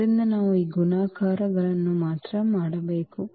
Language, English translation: Kannada, So, we have to only do these multiplications